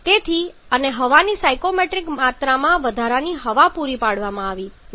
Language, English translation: Gujarati, So, and also stoichiometric amount of air has been supplied no excess air